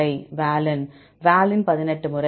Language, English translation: Tamil, Valine Valine 18 times